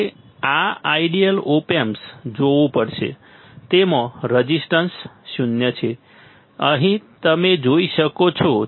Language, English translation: Gujarati, You have to we have to see this ideal op amp; it has zero zero resistance, you can see here